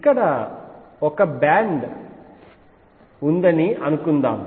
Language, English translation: Telugu, So, suppose I have a band here